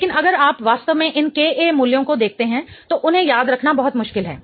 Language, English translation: Hindi, But if you really look at the values of these KAs, it is very difficult to remember them